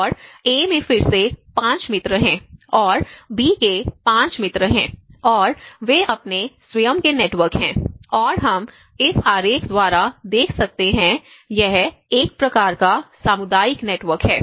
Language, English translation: Hindi, And A has again the 5 friends and B has 5 friends and they have their own networks and this we can see by this diagram, we can see it is a kind of a community network